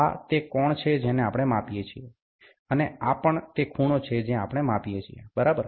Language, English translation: Gujarati, This is the angle which we measure, and this is also the angle which we measure, right